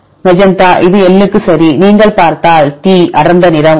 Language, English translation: Tamil, Magenta one right this is L right if you see this is T is a dark, right